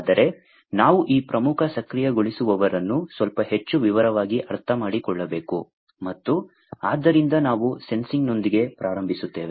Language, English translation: Kannada, But we need to understand these key enablers, in little bit more detail and so we will start with the Sensing